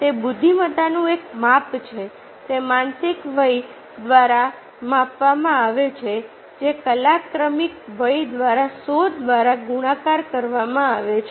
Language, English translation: Gujarati, it is measured by in mental age, divided by chronological age, multiplied by hundred